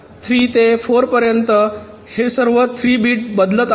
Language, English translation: Marathi, all three bits are changing